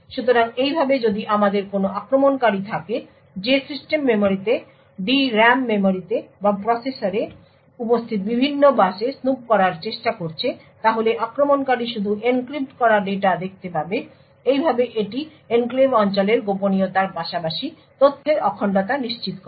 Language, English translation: Bengali, So this way if we have an attacker who is trying to snoop into the system memory the D RAM memory for instance or try to snoop into the various buses present in the processor then the attacker would only be able to view the encrypted data so this ensures confidentiality of the enclave region as well as integrity of the data